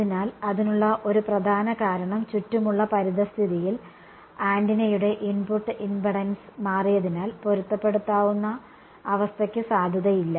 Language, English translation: Malayalam, So, one major reason for that would be there is the since the environment around has changed the input impedance of the antenna has changed therefore, the matching condition is no longer valid